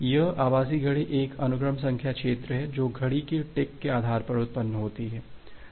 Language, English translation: Hindi, This virtual clock is a sequence number field which is generated based on the clock ticks